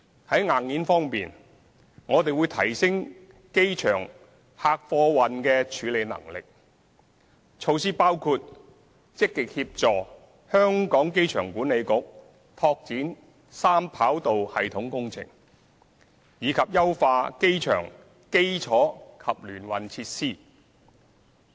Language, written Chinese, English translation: Cantonese, 在硬件方面，我們會提升機場的客貨運處理能力，措施包括積極協助香港機場管理局拓展三跑道系統工程，以及優化機場基礎及聯運設施。, In terms of hardware we will enhance the passenger and freight handling capacities of the airport by actively assisting the Hong Kong Airport Authority AA in the development of the three - runway system project and optimizing airport infrastructure and intermodal facilities